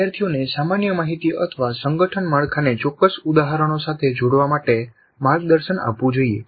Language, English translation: Gujarati, Learners should be guided to relate the general information or an organizing structure to specific instances